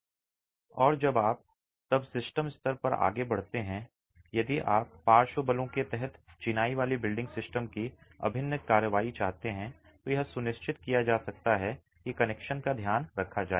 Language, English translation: Hindi, And when you then move on to system level, if you want integral action of the masonry building system under lateral forces, this can be ensured if connections are taken care of